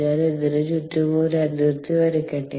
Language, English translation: Malayalam, fair enough, let me just put a boundary around this